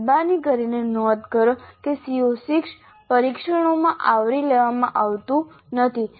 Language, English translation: Gujarati, Note that CO6 is not at all covered in the test